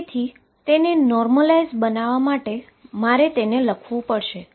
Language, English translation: Gujarati, And therefore, to normalize it, I have to write